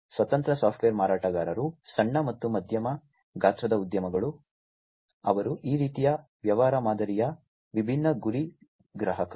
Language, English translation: Kannada, Independent software vendors, small and medium medium sized enterprises, they are the different target customers of this kind of business model